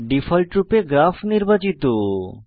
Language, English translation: Bengali, By default, Graph is selected